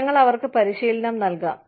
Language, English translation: Malayalam, We may give them, training